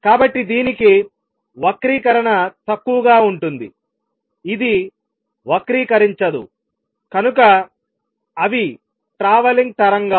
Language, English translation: Telugu, So, it is the disturbance which goes distortion less it does not get distorted that is the traveling waves